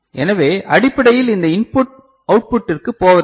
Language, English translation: Tamil, So, basically this input is not going to the output